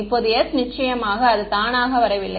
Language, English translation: Tamil, Now s of course does not come by itself